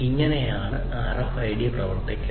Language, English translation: Malayalam, So, this is how the RFID basically works